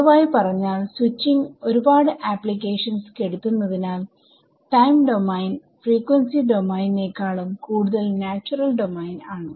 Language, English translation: Malayalam, So, as it turns out the number of applications where time domain is the more natural domain is actually more than frequency domain